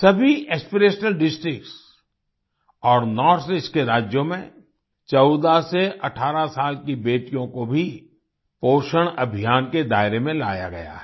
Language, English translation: Hindi, In all the Aspirational Districts and the states of the North East, 14 to 18 year old daughters have also been brought under the purview of the POSHAN Abhiyaan